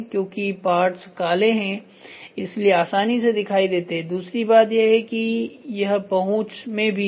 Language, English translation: Hindi, So, the parts are black so it is visible and second thing is it is also accessible